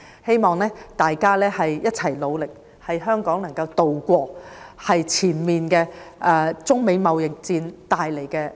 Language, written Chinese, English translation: Cantonese, 希望大家一起努力，協助香港渡過目前中美貿易戰帶來的風浪。, With our concerted efforts we can help Hong Kong tide over the storm of the current United States - China trade war